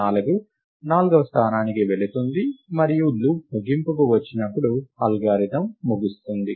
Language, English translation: Telugu, And 4 goes into the fourth location and the algorithm terminates when the loop comes to an end